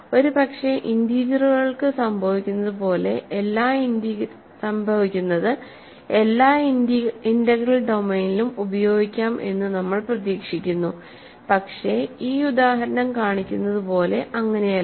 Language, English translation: Malayalam, We are hoping that maybe the what happens for the integers can be carried forward for every integral domain, but that s not the case, as this example shows